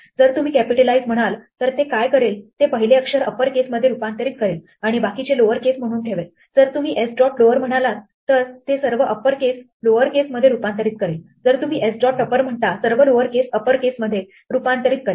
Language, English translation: Marathi, If you say capitalize, what it will do is it will convert the first letter to upper case and keep the rest as lower case, if you say s dot lower it will convert all upper case to lower case, if you say s dot upper it will convert all lower case to upper case and so on